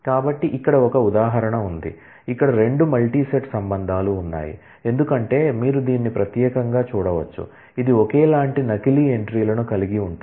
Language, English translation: Telugu, So, here is an example where, there are 2 multi set relations as you can see particularly this one, which has identical duplicate entries